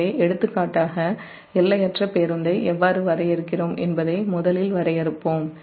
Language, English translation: Tamil, so for example, the first, let us define that how we define infinite bus